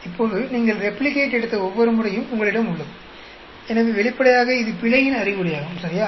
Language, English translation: Tamil, Now, you have every time you have replicated; so obviously, this is an indication of the error, right